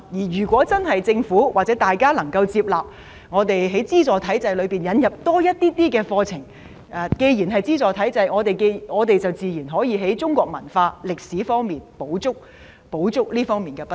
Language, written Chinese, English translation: Cantonese, 如果政府或公眾能夠接納在資助體制下，引入多一些課程，既然是資助體制，我們自然可以補足在中國文化和歷史方面的不足。, If the Government or the public accepts the proposal to introduce more curricula under the subsidized system we can surely remedy the inadequacies in contents of Chinese culture and history